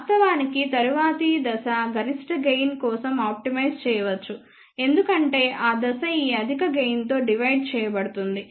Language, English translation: Telugu, Of course, the next stage one can optimize for maximum gain because that stage will be divided by this very high gain